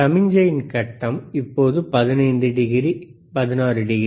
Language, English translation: Tamil, tThe phase of the signal, and right now is 15 degree, 16 degree